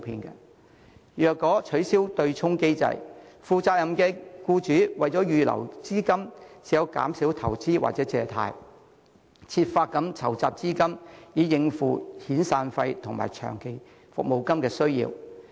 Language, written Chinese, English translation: Cantonese, 若取消對沖機制，負責任的僱主為預留資金，唯有減少投資或借貸，設法籌集資金以應付遣散費和長期服務金的需要。, If the offsetting mechanism is abolished responsible employers will be compelled to hold a reserve by reducing their investment or securing loans so as to raise sufficient money to cater for the making of severance and long service payments